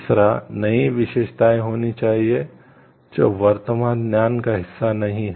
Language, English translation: Hindi, Third new characteristics must exist which is not a part of an existing knowledge